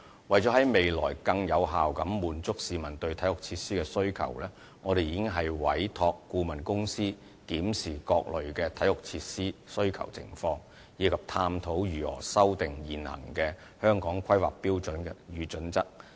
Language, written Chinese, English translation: Cantonese, 為了在未來更有效地滿足市民對體育設施的需求，我們已經委託顧問公司檢視各類體育設施的需求情況，以及探討如何修訂現行的《香港規劃標準與準則》。, To better meet the publics demand for sports facilities in the future we have commissioned a consultancy company to examine the demands for various sports facilities and explore ways to refine the existing Hong Kong Planning Standards and Guidelines